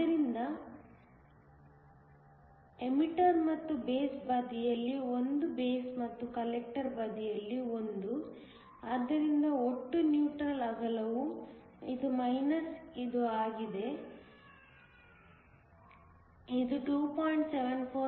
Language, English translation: Kannada, So, one on the emitter and base side, one on the base and the collector side; therefore, the total neutral width is this minus this, which comes out to be 2